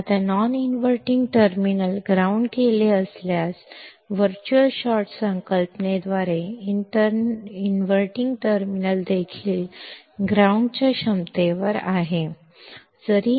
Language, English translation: Kannada, Now, if the non inverting terminal is grounded, by the concept of virtual short, inverting terminal also is at ground potential